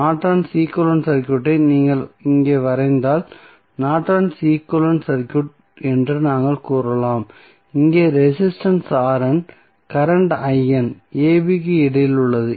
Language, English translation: Tamil, We can say that the Norton's equivalent circuit if you draw Norton's equivalent circuit here the resistance R N, current I N that is between a, b